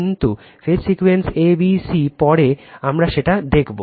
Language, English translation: Bengali, But, phase sequence is a b c later we will see that right